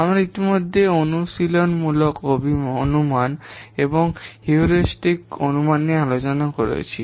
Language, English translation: Bengali, We have already discussed empirical estimation and heuristic estimation